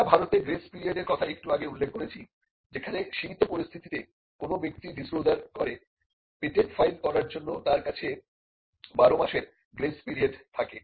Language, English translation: Bengali, We just mentioned a grace period exist in India, in limited circumstances where a person makes a disclosure there is a grace period of twelve months for the person to file the patent